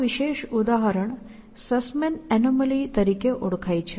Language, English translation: Gujarati, So, this particular example is known as Sussman’s anomaly